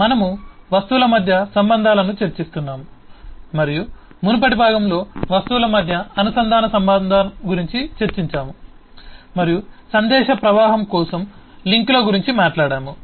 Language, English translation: Telugu, we are discussing relationships among object and in the earlier part we have discussed the linked relationship between the object and talked about the links to for message flow